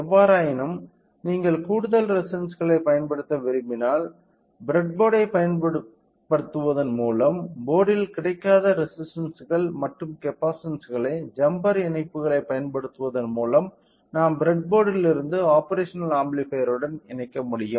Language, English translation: Tamil, However, in case if you want to use extra resistances are the resistance which resistances and capacitances which are not available on the board by using the breadboard and by using the jumper connections we can simply connected from the breadboard to the operational amplifier say